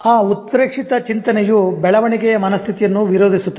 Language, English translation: Kannada, So that exaggerated thought is opposed to growth mindset